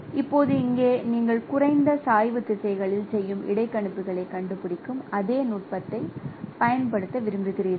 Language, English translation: Tamil, So, now here you would like to apply the same technique of finding out the doing interpolations in the least gradient directions